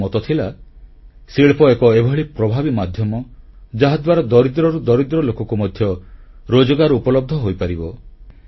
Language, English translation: Odia, According to him the industry was an effective medium by which jobs could be made available to the poorest of the poor and the poorer